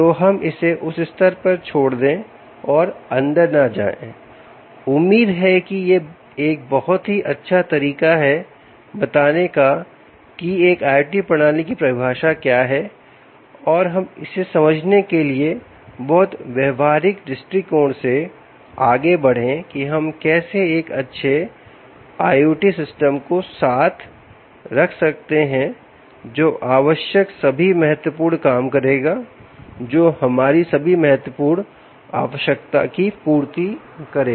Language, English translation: Hindi, so lets leave it at that stage and not get in to hopefully this is a nice way of putting what, ah, what the definition of an i o t system is and then let's move on to understand this from a very practical perspective of how you can actually put together a nice i o t system in place which will do all the important required, which will meet all the important requirements for us